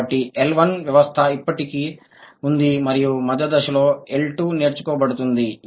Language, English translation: Telugu, So, the system of L1 was already there and during the intermediate stage the L2 has been acquired